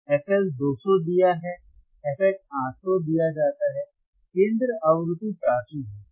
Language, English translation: Hindi, ff LL is 200 given, f H is 800 given, center frequency is 400 quad it done easyHz